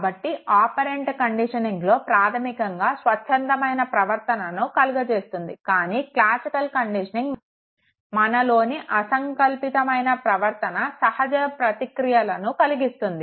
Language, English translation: Telugu, So, operant conditioning basically engages your voluntary behavior whereas classical conditioning it engages your involuntary behavior, the reflexes